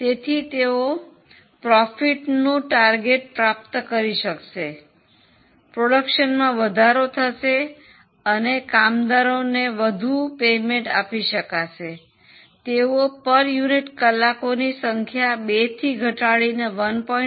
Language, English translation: Gujarati, So, they will be able to achieve the target profit, increase the production, give more payment to workers, do everything provided, they can reduce the number of hours per unit from 2 to 175